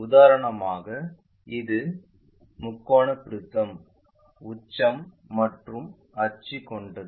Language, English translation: Tamil, For example, this is the triangular prism having apex and axis